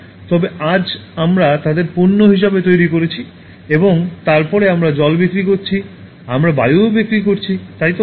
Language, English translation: Bengali, But then today we are making them as commodities and then we are selling water, we are selling air also, okay